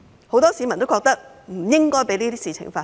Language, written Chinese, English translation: Cantonese, 很多市民都認為不應該讓這些事情發生。, Many members of the public think that these things should not be allowed to take place